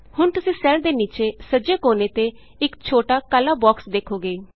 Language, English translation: Punjabi, You will now see a small black box at the bottom right hand corner of the cell